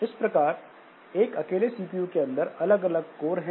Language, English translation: Hindi, So within a CPU, I have got different cores